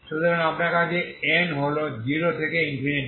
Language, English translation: Bengali, So you have n is from 0 to infinity